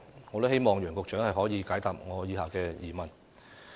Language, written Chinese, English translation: Cantonese, 我希望楊局長可以解答我的疑問。, I hope that Secretary Nicholas W YANG can answer my queries